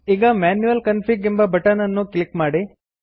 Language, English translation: Kannada, Now, click on the Manual Config button